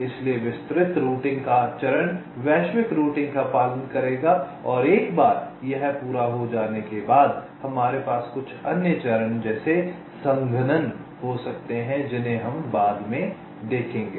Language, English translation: Hindi, so the step of detailed routing will follow global routing and once this is done, we can have some other steps, like compaction, which we shall be seeing later now